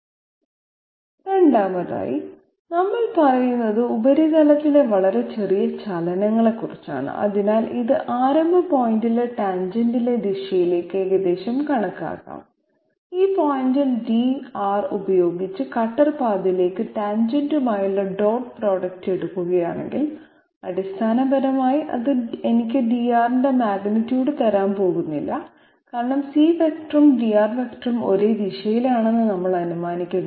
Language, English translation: Malayalam, Second is, we are saying that since we are talking about very small movements on the surface therefore this can well be approximated to lie in the direction of the tangent at the starting point so that we can say that if we take the dot product with the tangent to the cutter path at this point with dR, then essentially it is going to give me the magnitude of dR nothing else because dR is particular vector and the C vector we are assuming to be having absolutely the same direction, dR is so small that it will be it will be in the direction of C only